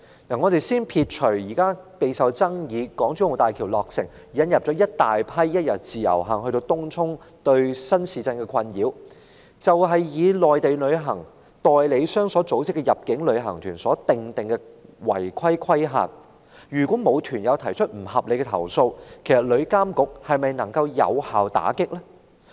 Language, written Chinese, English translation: Cantonese, 且不說備受爭議的港珠澳大橋落成，引來一大群一天自由行的旅客，對東涌新市鎮居民造成困擾；單說內地入境旅行團的違規事宜，如果沒有團友提出投訴，旅監局是否能有效打擊這些個案？, Let us not talk about the controversial commissioning of the Hong Kong - Zhuhai - Macao Bridge HZMB which has attracted a large influx of single - day visitors travelling under the Individual Visit Scheme IVS causing great disturbance to residents of the Tung Chung New Town . Let us just talk about the non - compliance cases concerning Mainland inbound tour groups . Can TIA effectively combat these cases if complaints from tour group members are not received?